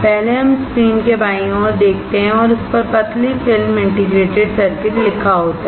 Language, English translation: Hindi, First let us see the left side of the screen and that is written thin film integrated circuit